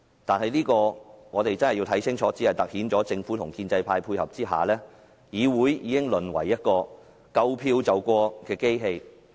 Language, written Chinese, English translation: Cantonese, 但是，我們必須看清楚，這只是突顯政府在建制派的配合下，已令議會淪為一個"夠票便過"的機器。, But we must see clearly the fact that with the cooperation of the pro - establishment camp the Government has turned the Legislative Council into a machine which passes anything so long as there are enough votes